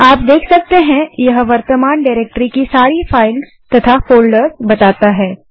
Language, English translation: Hindi, You can see it lists all the files and folders in the current directory